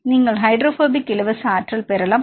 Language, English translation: Tamil, So, you can calculate the hydrophobic free energy